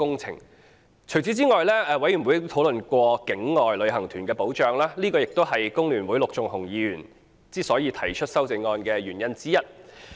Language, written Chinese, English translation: Cantonese, 除此之外，法案委員會亦討論過境外旅行團的保障，這也是工聯會陸頌雄議員提出修正案的原因之一。, In addition the Bills Committee also discussed protection accorded to outbound tour groups . This is one of the reasons why Mr LUK Chung - hung from The Hong Kong Federation of Trade Unions FTU has proposed his amendments